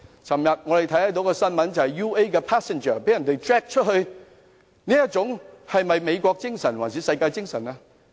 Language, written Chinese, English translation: Cantonese, 昨天我們看到一則新聞 ，UA 的乘客被人拖落飛機，這是美國精神嗎，還是世界精神？, I read a piece of news yesterday about a passenger of the United Airlines being dragged out of the plane by force . Was it the American spirit or the world spirit?